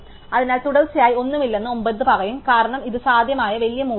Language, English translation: Malayalam, So, 9 will say that there is no successive, because it is the large possible value